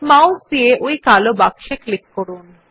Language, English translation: Bengali, Click on this box with the mouse